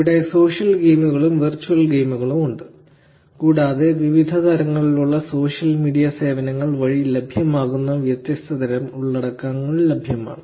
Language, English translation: Malayalam, There is an also social game, there is an also virtual games, and there are different types of content that are getting generated through these different types of social media services that are available